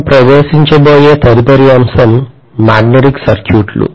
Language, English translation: Telugu, The next topic that we are going to venture into is magnetic circuits